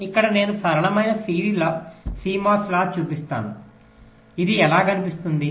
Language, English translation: Telugu, here i show a simple cmos latch how it looks like